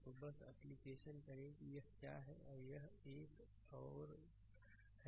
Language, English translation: Hindi, So, just apply you are what to call this is this is another one right